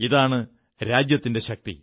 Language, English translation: Malayalam, This is the nation's strength